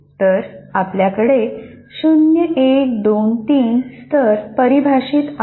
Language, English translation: Marathi, So, you have 1, 2, 3 levels defined like this